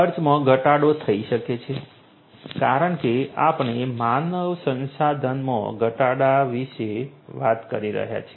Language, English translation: Gujarati, Reduction in cost can happen because we are talking about reduced human resources